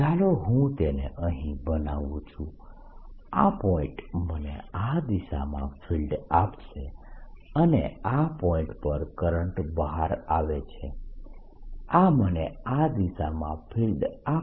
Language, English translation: Gujarati, let me make it here: this point will give me a field in this direction and this point, the current is coming out